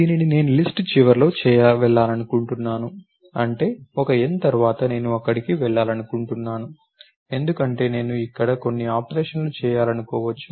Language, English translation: Telugu, And this I want to go to the end of the list, that is after a n, I want to go there, because I may want to do some operation there